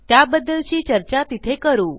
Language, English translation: Marathi, We can discuss this further there